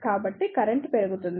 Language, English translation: Telugu, So, the current will increase